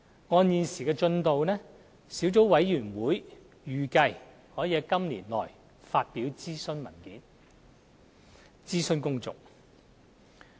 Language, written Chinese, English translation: Cantonese, 根據現時的進度，小組委員會預計可以在今年內發表諮詢文件，諮詢公眾。, According to the present progress the Sub - committee is expected to consult the public by publishing the consultation papers within this year